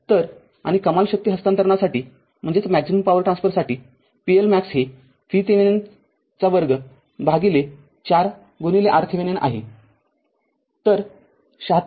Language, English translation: Marathi, So, and for maximum power transfer p L max V Thevenin square by 4 R thevenin; so, 76